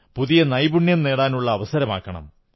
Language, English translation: Malayalam, Try to take the opportunity of acquiring a new skill